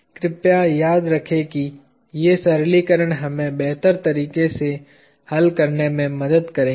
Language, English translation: Hindi, Please remember these simplifications will help us solve in a much better way